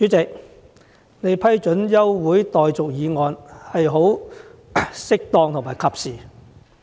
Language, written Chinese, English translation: Cantonese, 主席，你批准這項休會待續議案是適當和及時的。, President it is appropriate and timely for you to permit this adjournment motion